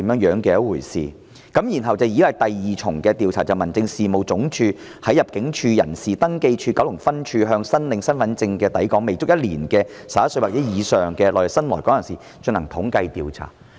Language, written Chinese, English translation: Cantonese, 然後，第二次調查是民政事務總署在入境處人事登記處九龍分處，向申領身份證的抵港未足一年的11歲或以上內地新來港人士所進行的統計調查。, And then the second survey is conducted by the Home Affairs Department on new arrivals from the Mainland who are aged 11 or above and have arrived in Hong Kong for less than one year when they apply for their Hong Kong Identity Cards at ImmDs Registration of Persons - Kowloon Office